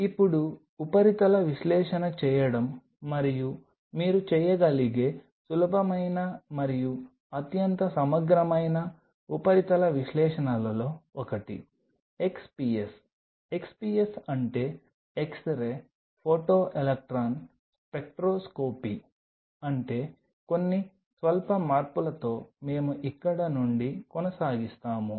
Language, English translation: Telugu, Now, doing a surface analysis and one of the easiest and most thorough surface analyses what you can do is XPS XPS stands for x RAY Photo Electron Spectroscopy with few slight changes we will continue from here